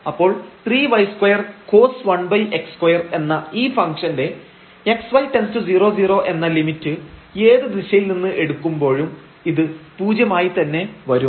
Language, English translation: Malayalam, So, the limit of this function 3 y square cos 1 over x square when we take xy to 0 0 from any direction